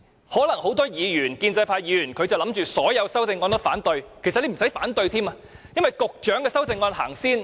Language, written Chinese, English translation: Cantonese, 很多建制派議員可能準備反對所有修正案，其實他們也不用反對，因為局長的修正案會先行付諸表決。, Many pro - establishment Members are perhaps prepared to vote against all the amendments . In fact they need not vote against them because the Secretarys amendments will be put to the vote before all of the others